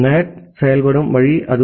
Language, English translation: Tamil, That is the way NAT works